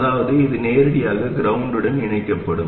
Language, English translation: Tamil, So that means that this will be connected directly to ground